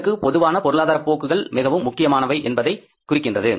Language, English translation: Tamil, So, means general economic trends are very important part